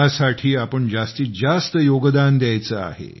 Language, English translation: Marathi, We have to contribute our maximum in this